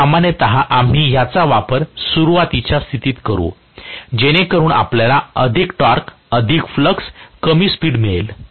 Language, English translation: Marathi, So, generally we would use this during starting condition, so that we get more torque, more flux, less speed